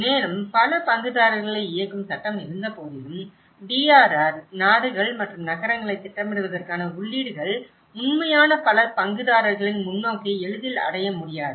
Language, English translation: Tamil, Also, the despite legislation enabling multiple stakeholders, inputs into planning of DRR, nations and cities do not easily achieve a true multi stakeholder perspective